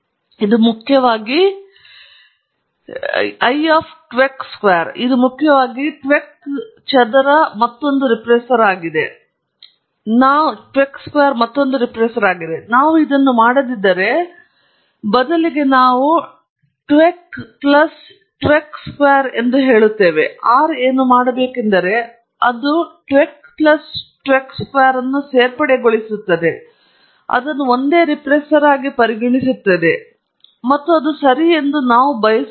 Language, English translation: Kannada, This essentially tells R that tvec square is another regressor; if we do not do this, and instead we say tvec plus tvec square what R would do is it would add up tvec plus tvec square, and treat that as a single regressor, and that’s not what we want alright